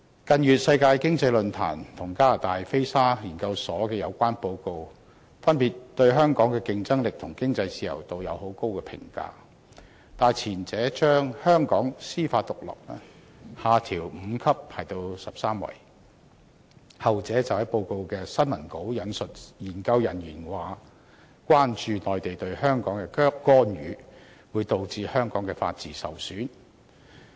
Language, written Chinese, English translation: Cantonese, 近月，世界經濟論壇和加拿大菲沙研究所的有關報告，分別對香港的競爭力和經濟自由度作出高度評價，但前者將香港的司法獨立排名下調5級至第十三位，後者則在報告的新聞稿引述研究人員意見，表示關注內地對香港的干預會導致香港法治受損。, In recent months reports of the World Economic Forum and the Fraser Institute of Canada have respectively commented favourably about Hong Kongs competitiveness and economic freedom . That said the former has lowered Hong Kongs ranking for judicial independence by five places to the thirteenth while the latter has quoted in the press release on the report researchers concern that Mainlands interference in Hong Kong may jeopardize the rule of law in the city